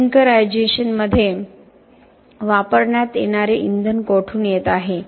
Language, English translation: Marathi, Where the fuel that is going to use in clinkerization is coming from